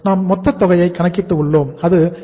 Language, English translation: Tamil, So total requirement is 26 lakhs